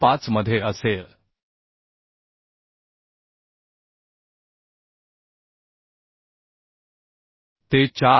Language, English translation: Marathi, 5 into te as 4